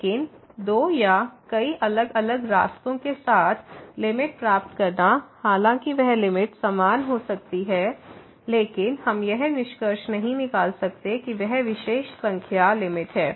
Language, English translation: Hindi, But getting the limit along two or many different paths though that limit may be the same, but we cannot conclude that that particular number is the limit